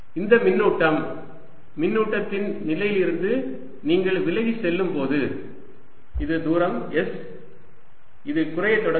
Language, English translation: Tamil, as you go away from the position of the charge, this this is distance s, it starts going down, all right